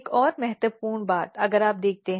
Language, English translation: Hindi, Another important thing here if you look